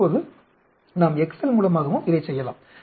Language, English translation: Tamil, Now, we can also do it by excel